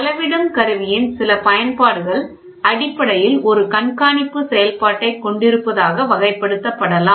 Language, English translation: Tamil, Certain applications of the measuring instrument may be characterized as having essentially a monitoring function